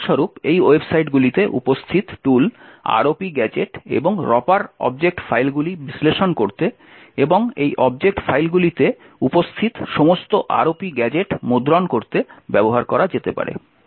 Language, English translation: Bengali, For example, the tool ROP gadget and Ropper present in these websites can be used to analyse object files and print all the ROP gadgets present in these object files